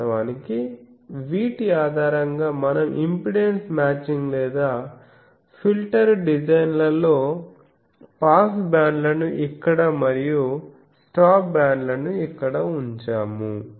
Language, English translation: Telugu, Actually, based on these we have in the impedance matching or filter designs we put pass bands here and stop bands here